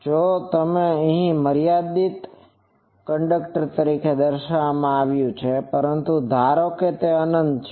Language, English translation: Gujarati, Though here it is shown as finite, but assume it is an infinite